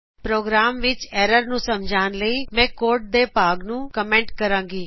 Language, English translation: Punjabi, To explain the error in the program, I will comment part of the code